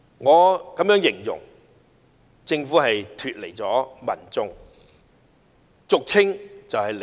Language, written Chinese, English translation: Cantonese, 我會這樣形容：政府脫離了民眾，即俗稱"離地"。, I would say that the Government is detached from the public not down to earth